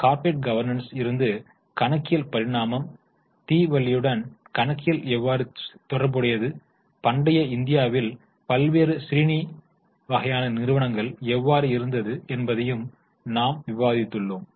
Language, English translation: Tamil, Then from corporate governance we have also discussed about evolution of accounting, how accounting is related to Diwali, how various shranny types of organizations existed in ancient India